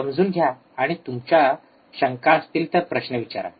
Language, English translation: Marathi, Understand and then out of your curiosity ask questions